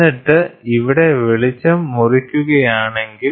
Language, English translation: Malayalam, And then it so, if the light gets cut here